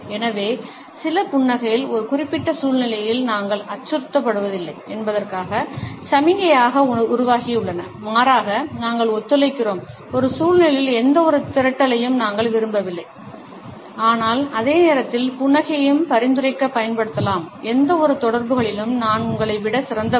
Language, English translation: Tamil, So, some smiles have evolved to signal that we are not being threatening in a particular situation rather we are being co operative, that we do not want any aggregation in a situation, but at the same time the smile can also be used to suggest “well I am better than you in any given interaction”